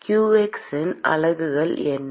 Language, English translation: Tamil, What is the units of qx